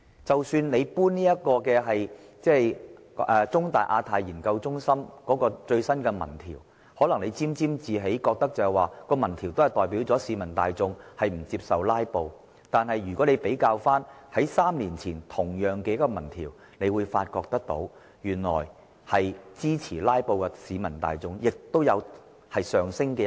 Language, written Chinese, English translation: Cantonese, 政府可能會因香港中文大學香港亞太研究所的最新民調結果而沾沾自喜，認為有關結果顯示市民大眾不接受"拉布"，但如果與3年前的同類民調比較，便會發現支持"拉布"的市民數目有上升趨勢。, The Government may become complacent as the results of the latest opinion poll conducted by the Hong Kong Institute of Asia - Pacific Studies of The Chinese University of Hong Kong indicated that the general public do not accept filibuster . However when compared with the result of a similar opinion poll conducted three years ago there is now an increasing number of people who support filibuster